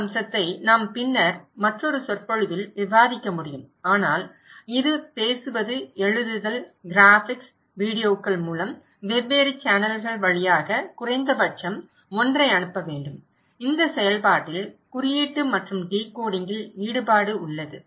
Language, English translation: Tamil, We can discuss this aspect, in later on another lecture but it should be sent through speaking, writing, graphics, videos through different channels right at least one and in this process there is a involvement of coding and decoding